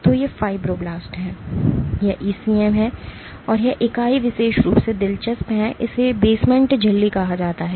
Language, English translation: Hindi, So, these are fibroblasts, this is the ECM, and what this entity is in particularly interesting, this is called the basement membrane